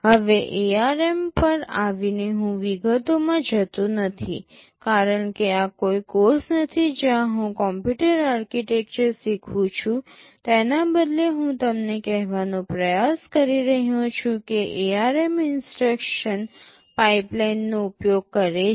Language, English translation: Gujarati, Now, coming to ARM I am not going into the details because this is not a course where I am teaching computer architecture rather I am trying to tell you that ARM uses instruction pipelining